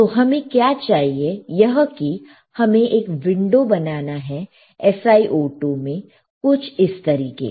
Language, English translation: Hindi, What we want is that we need to create a window in SiO2 like this